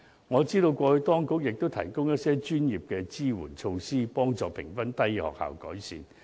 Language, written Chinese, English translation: Cantonese, 我知道過去當局亦提供一些專業的支援措施，幫助評分低的學校作出改善。, I am aware that the authorities have indeed provided some professional support measures to help schools with low scores improve